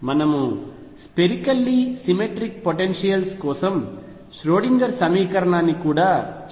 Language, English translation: Telugu, We have also discussed Schrödinger equation for spherically symmetric potentials